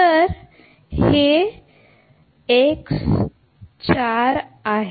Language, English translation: Marathi, So, this is x 4